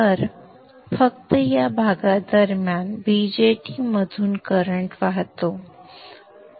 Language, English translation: Marathi, So only during this portion, the current through the BJT flows